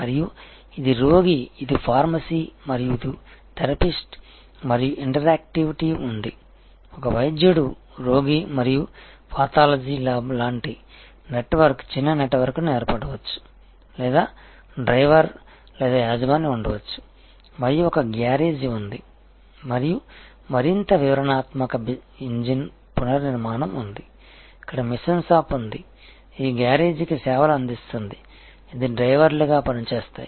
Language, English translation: Telugu, And, so this is the patient this is the pharmacy and this is the therapist and that there is an interactivity, there could be like a physician patient and pathology lab similar type of network small network formation or there can be a driver or an owner and there is a garage and there is a more detail are more exhaustive engine rebuilding, where there is a machine shop, which serves this garage, which interns serves as drivers